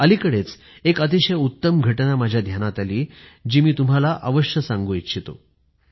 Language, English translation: Marathi, Recently I came across a wonderful incident, which I would like to share with you